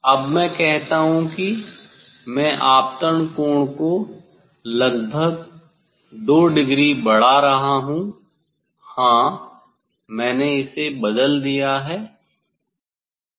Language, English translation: Hindi, I am now increasing the incident angle approximately 2 degree say; yes, I have change it